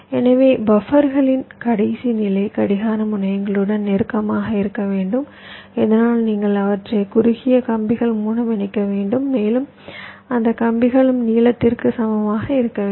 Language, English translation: Tamil, so the last level of buffers should be close to the clock terminals so that you can connect them by shorter wires, and those wires also should also be approximately equal in length